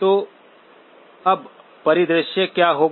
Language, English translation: Hindi, So now what will be the scenario